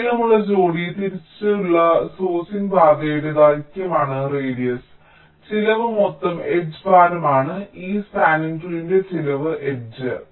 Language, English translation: Malayalam, radius is the length of the longest pair wise sourcing path, and cost is the total edge weight, some of the edges in this spanning tree